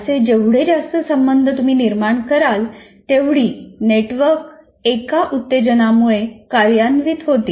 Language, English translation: Marathi, The more associations you create, more networks get triggered by one stimulus